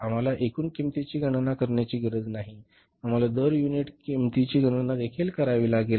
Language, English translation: Marathi, We will have to calculate the per unit cost also